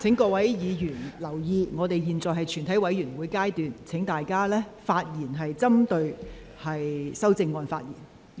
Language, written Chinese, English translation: Cantonese, 請委員留意，本會已進入全體委員會的審議程序，請委員針對修正案發言。, I would like to remind members that this Council has now proceeded to the Committee stage would members please focus their speeches on the amendments